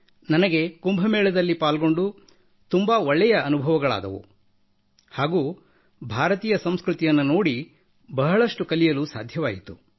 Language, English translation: Kannada, I felt good on being a part of Kumbh Mela and got to learn a lot about the culture of India by observing